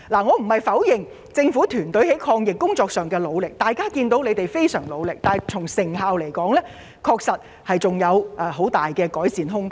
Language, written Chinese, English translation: Cantonese, 我並非要否定政府團隊在抗疫工作上的努力，他們無疑非常努力，但成效卻仍有很大改善空間。, I do not mean to deny the Governments efforts in fighting the epidemic and there is no doubt that it works really hard but it has huge room for improvement in terms of effectiveness